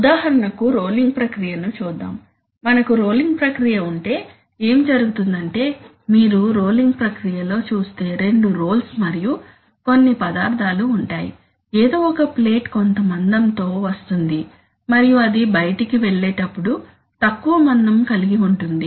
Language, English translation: Telugu, For example, let us look at a rolling process, right, so if we have a rolling process, what is happening is that actually if you see in a rolling process there are two rolls, right and some material, some plate comes in with some thickness and when it goes out it has a lower thickness